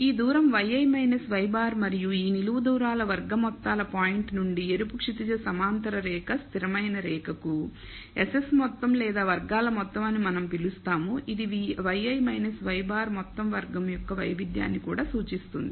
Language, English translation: Telugu, This distance is y i minus y bar and sum squared of all these vertical distances from the point to the red horizontal line constant line that is what we call the SS total or sum squared total which also represents the variance of y i minus y bar the whole squared